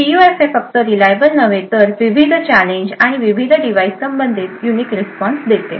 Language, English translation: Marathi, The PUF should not only be reliable but also, should provide unique responses with respect to different challenges and different devices